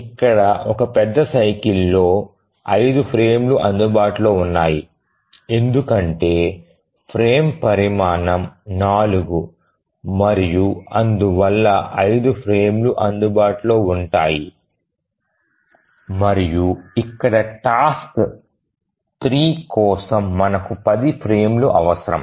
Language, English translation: Telugu, And also if we think how many frames will be available in one major cycle we see that there are 5 frames because frame size is 4 and therefore there will be 5 frames that will be available and here for the 3 tasks we need 10 frames